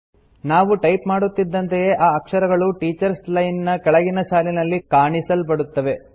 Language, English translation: Kannada, As we type, the characters are displayed in the line below the Teachers line